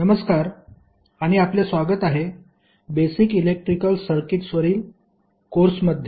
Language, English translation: Marathi, Hello and welcome to the course on basic electrical circuits